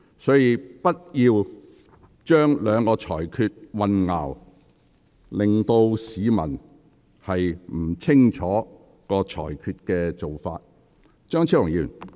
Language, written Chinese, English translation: Cantonese, 所以，不要將兩項裁決混淆，令市民不清楚裁決的理據。, So please do not mix up the two rulings and make the public confused about the grounds of the rulings